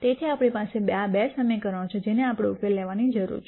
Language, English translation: Gujarati, So, we have these two equations that we need to solve